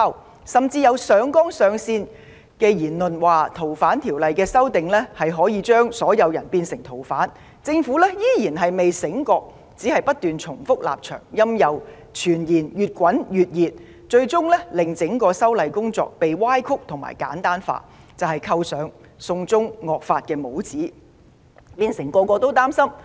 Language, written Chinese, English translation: Cantonese, 有論者甚至上綱上線，斷言《條例草案》可將所有人變成逃犯，政府對此依然未醒覺，只是不斷重複立場，任由傳言越炒越熱，最終令整個修例工作被扭曲及簡單化，扣上"送中惡法"的帽子，變成人人自危。, Some commentators played up the matter and alleged that the Bill could turn anyone into a fugitive . The Government remained not waken up to the alarm . It just continued to reiterate its stance and allowed rumours to spread wider and wider until finally the whole legislative exercise was distorted given a simplified interpretation and dubbed a draconian China extradition law making everybody feel unsafe